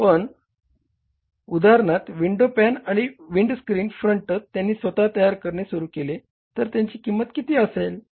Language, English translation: Marathi, But for example no window pants and windscreen front, if they start manufacturing it themselves, what is the cost